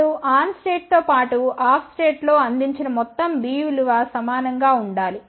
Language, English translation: Telugu, Now the total B value provided by this in the on state as well as off state should be equal